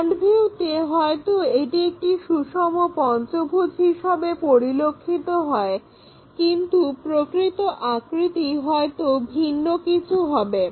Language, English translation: Bengali, In the front view, it might look like a regular pentagon, but true shape might be different thing